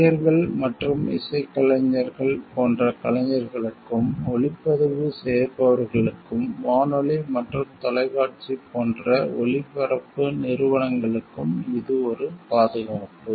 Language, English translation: Tamil, It is a protection for the performers like actors and musicians and to sound recorders as well as broadcasting organizations like radio and television